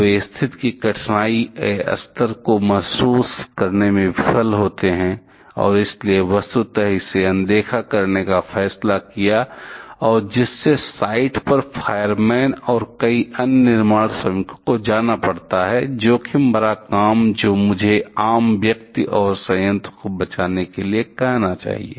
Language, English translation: Hindi, They fail to realize the difficulty level of the situation and therefore, decided to, decided to ignore it virtually and the this send fireman and also several other construction workers to go to the site, risky work I should say to rescue the common person and the plant itself